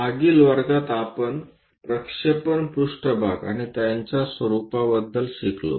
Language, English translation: Marathi, In the last class, we learned about projection planes and their pattern